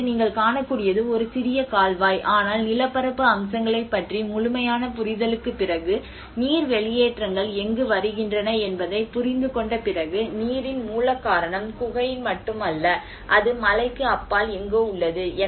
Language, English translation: Tamil, \ \ \ Now, what you can see is a small canal, but after having a thorough understanding of the topographic aspects and after having a understanding of where the water seepages are coming, they understood the root cause of the water is not just not in the cave, it is somewhere beyond the mountain